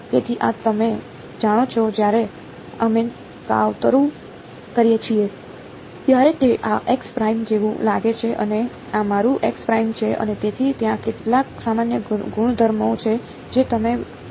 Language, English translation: Gujarati, So, this was the you know when we plot it looks like something like this x prime and this is my x prime and so there are some general properties that you will observe